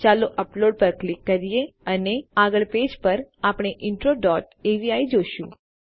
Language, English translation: Gujarati, Lets click upload and on the next page we see intro dot avi